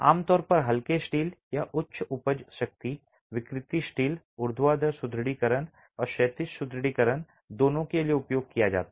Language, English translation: Hindi, Typically, mild steel or high yield strength deformable steel are used both for vertical reinforcement and horizontal reinforcement